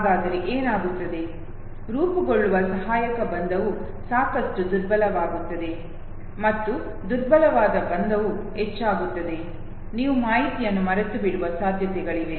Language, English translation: Kannada, So what would happen then, the associative bond that is formed that becomes weaker enough, and the weaker the bond becomes higher or the chances that you will forget the information